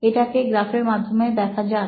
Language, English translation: Bengali, Let’s look at this in a graphical format